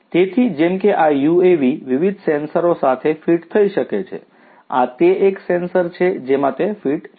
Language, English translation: Gujarati, So, like this UAV could be fitted with different sensors, this is one such sensor to which it is fitted